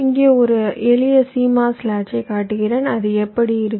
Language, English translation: Tamil, here i show a simple cmos latch how it looks like